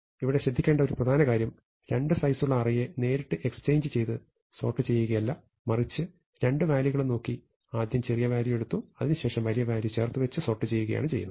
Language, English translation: Malayalam, There is an important note that exchange did not come by looking at array of size 2 directly, but rather by looking at these two value, taking the smaller one first then the bigger one